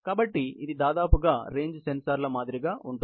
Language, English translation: Telugu, So, this is more or less, similar to the range sensors